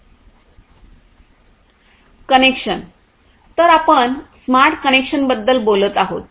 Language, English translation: Marathi, So, connection: so, we are talking about smart connections